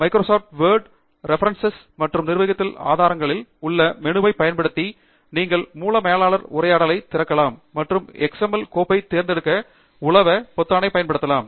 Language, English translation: Tamil, Using the menu on Microsoft Word, References and Manage Sources you can open the Source Manager dialogue and use the Browse button to select the XML file